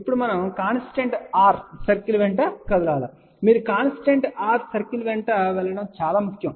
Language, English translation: Telugu, Now, we move along the constant r circle, it is very very important you move along constant r circle